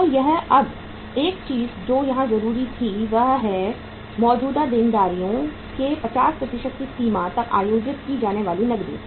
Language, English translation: Hindi, So now one thing which was required here is cash to be held to the extent of 50% of the current liabilities